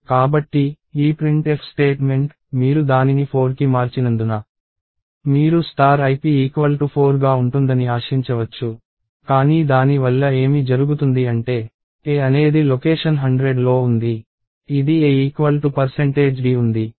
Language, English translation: Telugu, So, this printf statement, so since you have changed that to 4, you would expect star ip to be 4, but what happens because of that is, since a is in location 100, this a equals percentage d